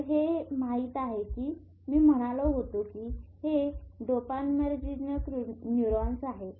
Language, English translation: Marathi, , these are I said this is a dopaminergic neurons